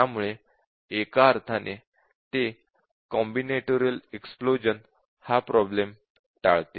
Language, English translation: Marathi, So in a sense, it avoids the combinatorial explosion problem